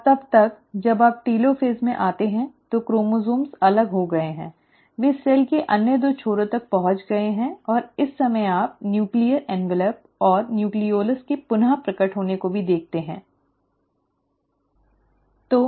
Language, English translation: Hindi, And then by the time you come to telophase, the chromosomes have separated, they have reached the other two ends of the cell, and at this point of time, you also start seeing the reappearance of the nuclear envelope and the nucleolus